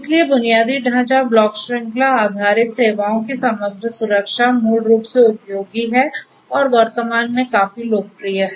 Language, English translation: Hindi, So, overall security of the infrastructure block chain based services, basically are useful and are quite popular at present